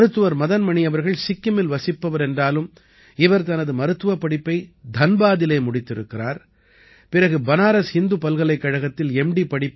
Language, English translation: Tamil, Madan Mani hails from Sikkim itself, but did his MBBS from Dhanbad and then did his MD from Banaras Hindu University